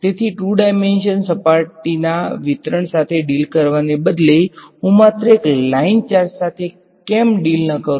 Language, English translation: Gujarati, So, instead of dealing with a 2 dimensional surface distribution why not I deal with just a line charge